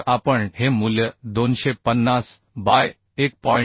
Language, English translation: Marathi, 5 So if we put this value 250 by 1